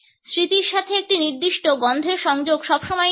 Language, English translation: Bengali, The association of a particular smell with memory is always there